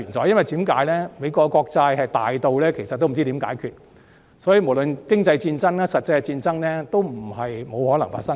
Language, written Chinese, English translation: Cantonese, 原因是美國國債龐大到不知如何解決，無論經濟戰爭或實際戰爭也不是不可能發生。, The reason is that the amount of American Treasury bonds is so enormous that no solution may possibly be found . An economic war or a physical war is not impossible